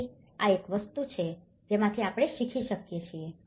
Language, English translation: Gujarati, So, this is one thing we can learn from this